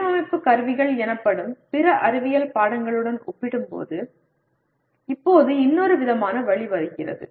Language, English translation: Tamil, Now comes yet another kind of somewhat way compared to other science subjects called Design Instrumentalities